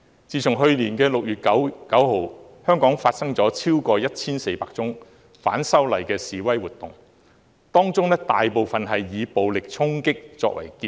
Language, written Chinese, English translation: Cantonese, 自去年6月9日以來，香港發生了超過 1,400 宗反修例示威活動，當中大部分以暴力衝擊作結。, Since 9 June last year more than 1 400 protests against the proposed legislative amendments have been staged most of which ended with violent charging